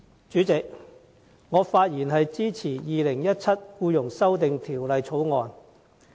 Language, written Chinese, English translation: Cantonese, 主席，我發言支持《2017年僱傭條例草案》。, President I speak in support of the Employment Amendment Bill 2017 the Bill